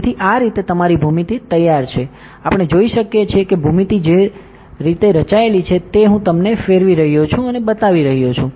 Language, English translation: Gujarati, So, this way your geometry is ready, we can see the geometry that has been formed I am rotating and showing you